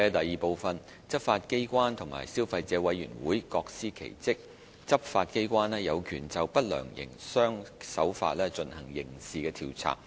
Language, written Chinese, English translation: Cantonese, 二執法機關和消費者委員會各司其職，執法機關有權就不良營商手法進行刑事調查。, 2 Law enforcement agencies and the Consumer Council CC perform their respective duties . The law enforcement agencies are mandated to conduct criminal investigation on unfair trade practices